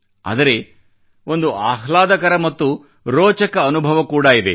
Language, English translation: Kannada, But therein lies a pleasant and interesting experience too